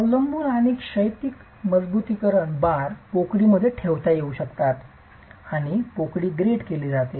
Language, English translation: Marathi, The vertical and horizontal reinforcement bars can be placed in the cavity and the cavity is grouted